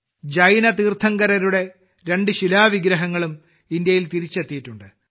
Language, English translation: Malayalam, Two stone idols of Jain Tirthankaras have also come back to India